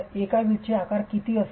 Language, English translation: Marathi, What would be the size of one brick